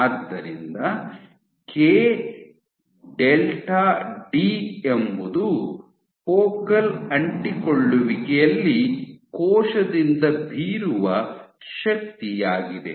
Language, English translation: Kannada, So, k * delta d is the force exerted by the cell at a focal adhesion